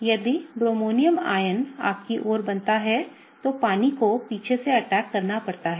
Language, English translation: Hindi, If the bromonium ion is formed towards you, then water has to attack from the back